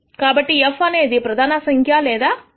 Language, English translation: Telugu, So, that is your f prime or grad of f